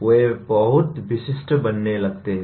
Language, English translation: Hindi, They start becoming very specific